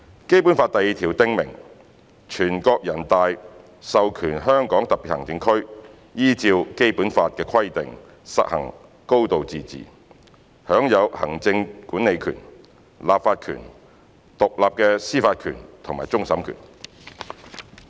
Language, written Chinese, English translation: Cantonese, 《基本法》第二條訂明，"全國人民代表大會授權香港特別行政區依照本法的規定實行高度自治，享有行政管理權、立法權、獨立的司法權和終審權。, Article 2 of the Basic Law stipulates that the National Peoples Congress authorizes the Hong Kong Special Administrative Region to exercise a high degree of autonomy and enjoy executive legislative and independent judicial power including that of final adjudication in accordance with the provisions of this Law